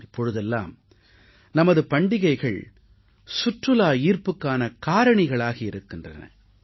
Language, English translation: Tamil, Our festivals are now becoming great attractions for tourism